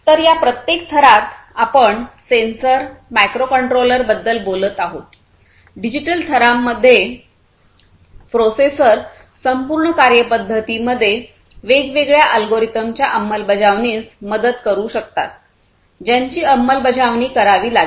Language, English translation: Marathi, So, in each of these layers; so physical layer we are talking about sensors, microcontrollers; digital layer we are talking about processors, which can help in execution of these different algorithms the in the processes overall the functionalities, that will have to be implemented